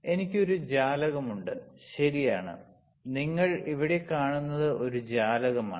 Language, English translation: Malayalam, I have a window, right; you see here is a window